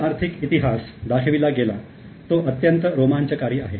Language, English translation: Marathi, Now, the economic history as has been brought in is really very interesting